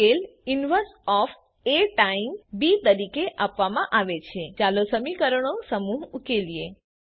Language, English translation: Gujarati, The solution is then given as inverse of A times b Let us solve the set of equations